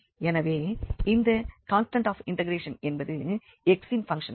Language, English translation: Tamil, So, this constant of integration can be a function of x